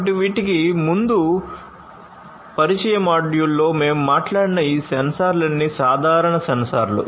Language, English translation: Telugu, So, all these sensors that we talked about in the introductory module before these are simple sensors